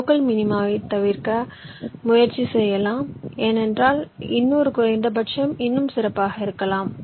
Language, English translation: Tamil, you try to try to avoid from falling into the local minima because there can be another minimum which is even better